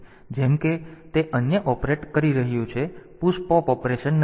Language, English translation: Gujarati, So, as it is doing other operate the push pop operation